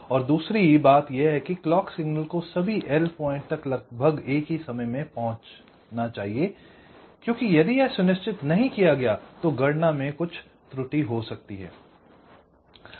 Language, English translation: Hindi, and another thing is that, as i said, that the clock signal should reach all the l points approximately at the same time, because if it is not ensured, then there can be some error in computation